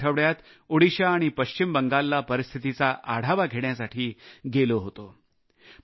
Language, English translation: Marathi, I went to take stock of the situation last week to Odisha and West Bengal